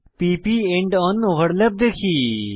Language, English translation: Bengali, Now to p p end on overlap